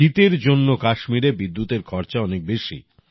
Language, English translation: Bengali, On account of winters in Kashmir, the cost of electricity is high